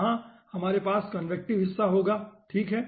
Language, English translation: Hindi, here we will be having the convecty part